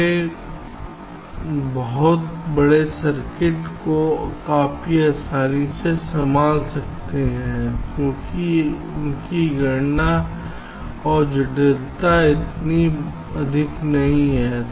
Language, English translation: Hindi, they can handle very large circuits quite easily because their computation and complexity is not so high